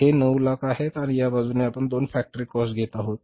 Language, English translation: Marathi, It is 9 lakhs and this side will be taking the two factory cost